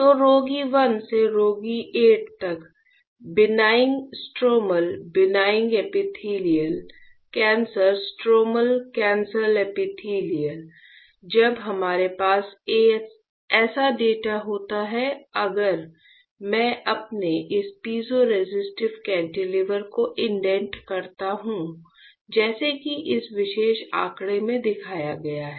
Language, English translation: Hindi, So, benign stromal, benign epithelial, cancer stromal, cancer epithelial from patient 1 to patient 8; when we have this such a data and if I indent my this piezoresistive cantilever as shown in this particular figure right